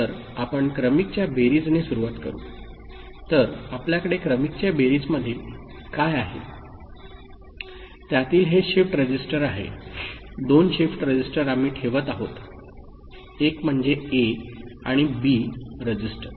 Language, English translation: Marathi, So, we begin with serial addition so, in serial addition what we have is this shift register two shift registers we are putting one is your register A and register B